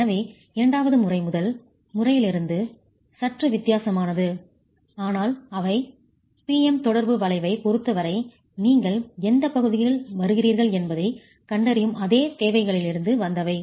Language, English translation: Tamil, So the second method is a little different from the first method, but they come from the same requirements of identifying which regions you fall into as far as the PM interaction curve is concerned